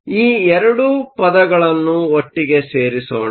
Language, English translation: Kannada, So, let us put these 2 terms together